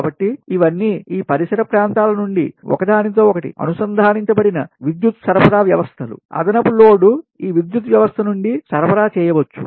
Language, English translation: Telugu, so in that case, from these adjoining areas interconnected power supply systems, that this, this additional load, can be supplied from this ah power system